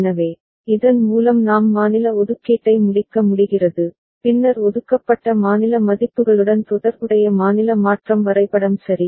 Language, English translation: Tamil, So, with this we are able to complete state assignment, then corresponding state transition diagram with assigned state values ok